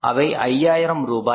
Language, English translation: Tamil, It is 5,000 rupees